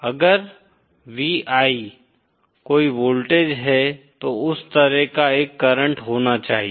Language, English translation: Hindi, V I, if there is a voltage, there should be a current like that